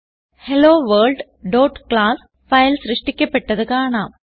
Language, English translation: Malayalam, We can see HelloWorld.class file created